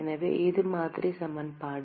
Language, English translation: Tamil, So, that is the model equation